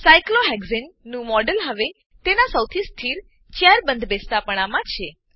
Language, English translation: Gujarati, The model of Cyclohexane is now, in its most stable chair conformation